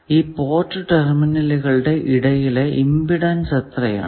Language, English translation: Malayalam, What is the impedance across those port terminals